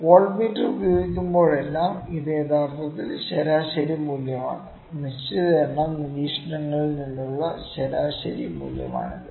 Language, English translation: Malayalam, Whenever the voltmeter is used, this is actually the mean value; this is a mean value from certain number of observations